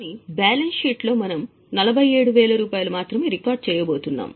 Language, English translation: Telugu, But in the balance sheet we are going to record only 47,000